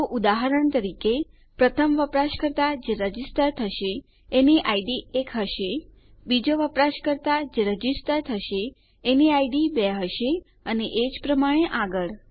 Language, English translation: Gujarati, So, for example, the first user who registers will have an id of one, the second user who registers will have an id of two and so on and so forth